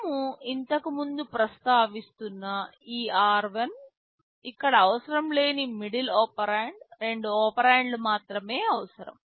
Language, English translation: Telugu, This r1 which we are mentioning earlier, the middle operand that is not required here, only two operands are required